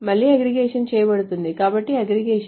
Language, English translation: Telugu, So again the aggregation is being done